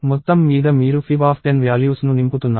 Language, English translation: Telugu, So, this is; overall you are filling up 10 values of fib